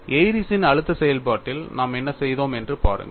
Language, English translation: Tamil, See in the case of Airy's stress function what we did